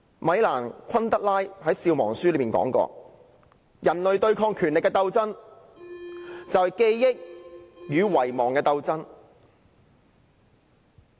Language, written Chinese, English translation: Cantonese, 米蘭.昆德拉在《笑忘書》中曾說過："人類對抗權力的鬥爭，就是記憶與遺忘的鬥爭。, In The Book of Laughter and Forgetting Milan KUNDERA wrote the struggle of man against power is the struggle of memory against forgetting